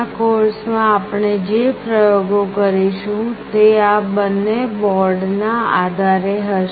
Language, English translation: Gujarati, All the experiments that we will be doing in this course will be based on these two boards